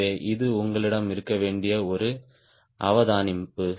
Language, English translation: Tamil, so this is one observation you must have